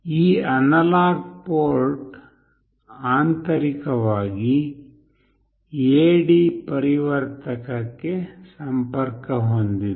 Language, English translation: Kannada, This analog port internally is connected to an AD converter